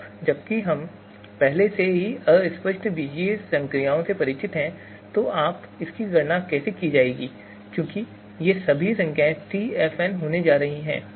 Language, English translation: Hindi, So now that we are already familiar with the fuzzy algebraic operations so how this is going to be computed because all these numbers are going to be TFNs